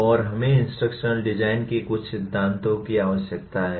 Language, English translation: Hindi, And we need some principles of instructional design